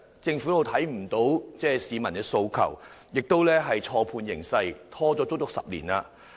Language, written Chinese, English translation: Cantonese, 政府未能聽到市民的訴求，亦錯判形勢，拖延了10年的時間。, The Government has failed to listen to the aspirations of the people and misjudged the situation thus resulting in a decades delay